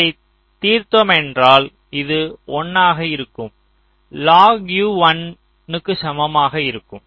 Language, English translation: Tamil, so if you solve, you will be getting this is one log u equal to one